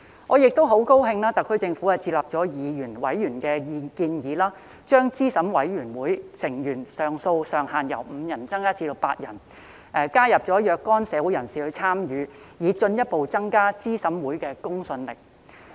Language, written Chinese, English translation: Cantonese, 我很高興特區政府接納議員、委員的建議，將資審會成員人數上限由5人增加至8人，加入若干社會人士參與，以進一步增加資審會的公信力。, I am glad that the SAR Government accepted Members proposal to increase the maximum number of CERC members from five to eight with additional participation from certain members of society to further enhance the credibility of CERC